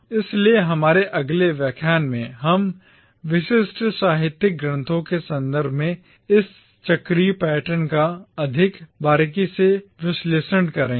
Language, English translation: Hindi, So in our next lecture we will analyse this cyclical pattern more closely with reference to specific literary texts